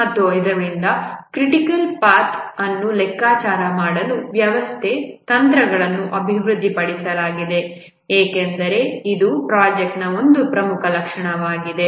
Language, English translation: Kannada, And therefore, systematic techniques have been developed to compute the critical path because that's a very important characteristic of a project